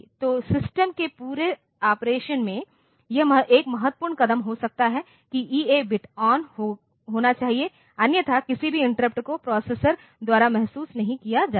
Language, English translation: Hindi, So, this may be 1 important step in the whole operation of the system that the EA bit should be turned on; otherwise none of the interrupts will be sensed by the processor